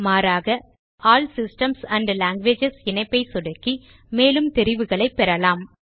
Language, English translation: Tamil, Or we can click on the All Systems and Languages link below the green area for more options